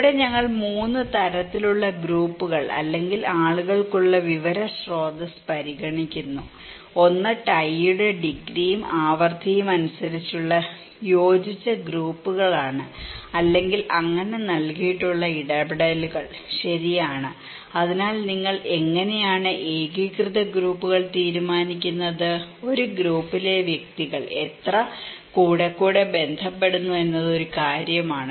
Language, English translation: Malayalam, Here, we consider 3 kind of group or the source of information for people, one is the cohesive groups that depends on the degree and frequency of the tie or interactions okay so given, so how do you decide the cohesive groups; it is just a matter of that how frequently the individuals within a group is connecting